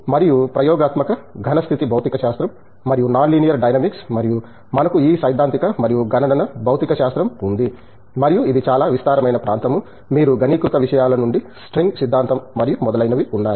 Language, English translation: Telugu, And, experimental solid state physics and non linear dynamics and we have this theoretical and computational physics and this is a very vast area, you can go from condense matters to string theory and etcetera